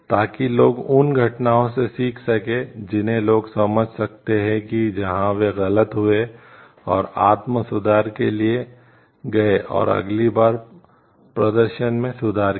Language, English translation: Hindi, So, that people can learn from those incidents people can understand, where they went wrong and make go for a self correction and improve the performance next time